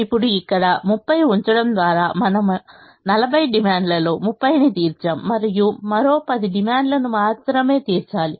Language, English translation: Telugu, by putting thirty here, we have met thirty out of the forty demand and only ten more demand has to be met